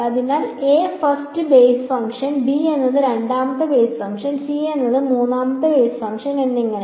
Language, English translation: Malayalam, So, a is the first basis function, b is the second basis function, c is the third basis function and so on